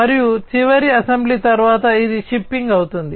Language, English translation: Telugu, And after final assembly, it will be shipping